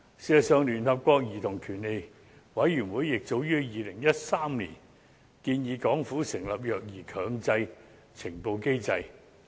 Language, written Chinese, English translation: Cantonese, 事實上，聯合國兒童權利委員會早於2013年已建議港府成立"虐兒強制呈報機制"。, In fact the United Nations Committee on the Rights of the Child recommended the Government to establish a Mandatory Reporting Protocol on Child Abuse back in 2013